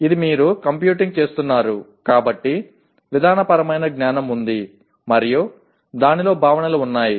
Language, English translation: Telugu, Here you are computing, so there is procedural knowledge and there are concepts in that